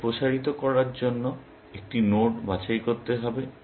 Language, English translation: Bengali, We have to pick a node to expand